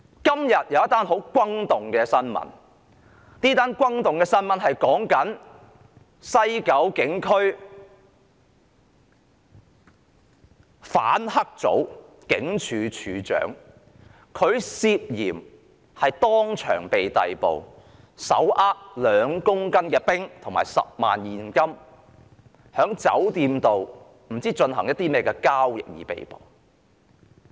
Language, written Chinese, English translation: Cantonese, 今天有一宗很轟動的新聞，是有關西九龍總區反黑組警署警長手持2公斤冰毒和10萬元現金，在酒店不知進行甚麼交易而被捕。, There was a piece of shocking news today that a station sergeant of the anti - triad unit of the Kowloon West Regional Headquarters was arrested when he was undertaking a sort of a transaction with 2 kg of ice and 100,000 cash in a hotel